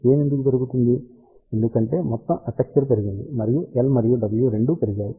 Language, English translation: Telugu, Why gain is increasing, because total aperture has increased both L and W have increased because of the low value of the epsilon r